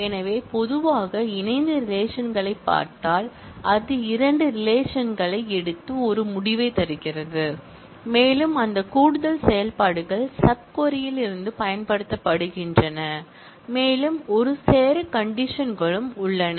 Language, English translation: Tamil, So, if we look into the join relations in general, it takes two relations and returns a result and those additional operations are used in the sub query in from and there is a set of join conditions